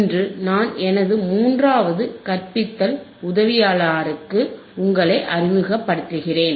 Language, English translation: Tamil, And today I will introduce you to my third teaching assistant